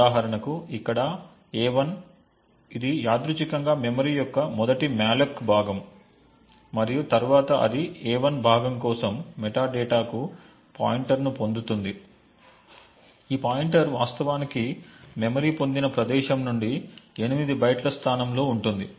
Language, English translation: Telugu, For example a1 over here which incidentally is the first malloc chunk of memory and then it would obtain a pointer to the metadata for a1 chunk which is at a location 8 bytes from where the pointer is actually obtained